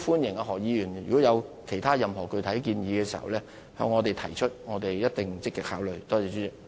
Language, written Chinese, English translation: Cantonese, 如果何議員在這方面有任何具體建議，歡迎向我們提出，我們一定會積極考慮。, If Mr HO has any specific suggestions in this regard he is welcomed to share his ideas with us and we will actively consider them